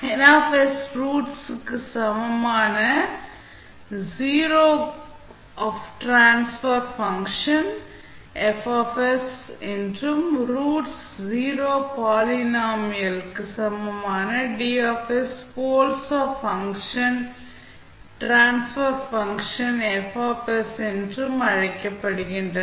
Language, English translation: Tamil, Now, roots of Ns equal to 0 are called the ‘zeroes of transfer function F s’ and roots of Ds equal to 0 polynomial are called the ‘poles of function, transfer function F s’